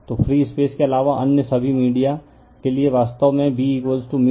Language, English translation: Hindi, So, for all media other than free space, actually B is equal to mu 0 mu r into H right